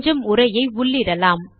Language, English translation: Tamil, Let us now put some text